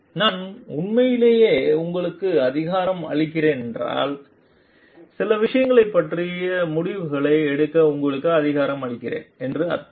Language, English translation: Tamil, If I am truly empowering you means I am giving you the authority to take decisions regarding certain things